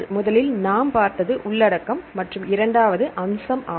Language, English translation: Tamil, And the second one I show the first one is the contents and the second what is second aspect